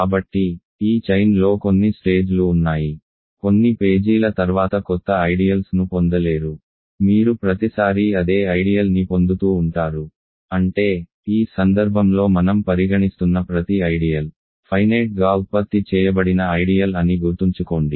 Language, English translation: Telugu, So, there is some stage in this chain that you do not get a you stop getting new ideals, you keep getting the same ideal every time, but; that means, remember each ideal that we are considering in this case is a finitely generated ideal